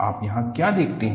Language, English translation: Hindi, What do you see here